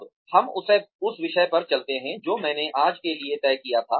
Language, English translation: Hindi, Now, let us move on to the topic, that I had decided for today